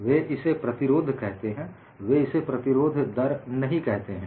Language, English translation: Hindi, They call it as resistance; they do not call it as resistance rate